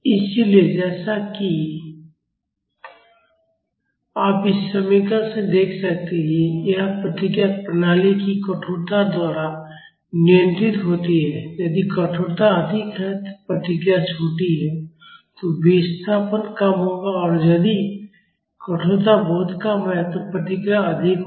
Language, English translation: Hindi, So, as you can see from this expression this response is controlled by the stiffness of the system if the stiffness is high, the response is smaller the displacement will be smaller and if the stiffness is very low this response will be higher